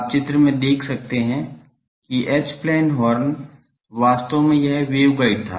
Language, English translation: Hindi, You can see the view the picture that H plane Horn, actually the this was the waveguide